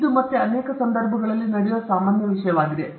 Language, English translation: Kannada, This again is a very common thing that happens in many context